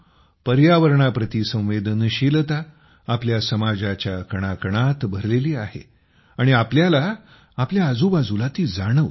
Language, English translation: Marathi, My dear countrymen, sensitivity towards the environment is embedded in every particle of our society and we can feel it all around us